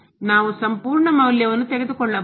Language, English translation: Kannada, We can take the absolute value